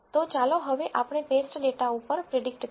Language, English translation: Gujarati, So, now let us predict this on the test data